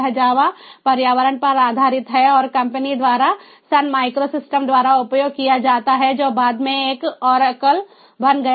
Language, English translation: Hindi, it is based on the java environment and is perused by the company sunmicrosystems, which later one ah, ah, ah became ah oracle